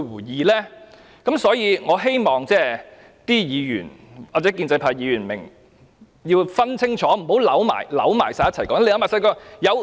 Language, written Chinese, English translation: Cantonese, 因此，我希望議員或建制派議員明白並清楚分辨兩者，不要將這些事混為一談。, Therefore I hope that Members or the pro - establishment Members will understand and distinguish between the two situations and will not lump them together